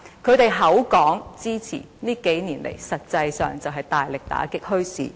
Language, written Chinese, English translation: Cantonese, 他們口說支持，但這數年來，實際上是大力打擊墟市。, While they verbally gave their support they have in reality cracked down on bazaars rigorously over the past few years